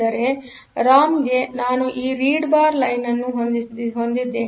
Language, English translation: Kannada, So, for the ROM; I will have that read bar line